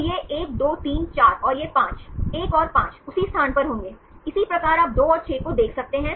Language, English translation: Hindi, 1 and 5, there would be on the same place, likewise you can see the 2 and 6